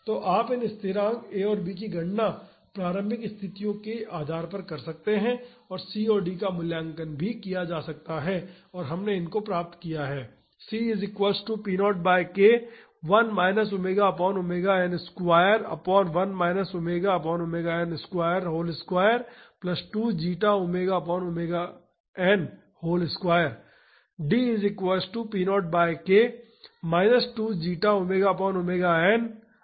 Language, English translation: Hindi, So, you can calculate these constants this A and B can be calculated using the initial conditions and C and D can also be evaluated and we have derived this